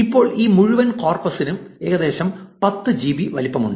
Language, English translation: Malayalam, Now, this entire corpus is about 10 GB in size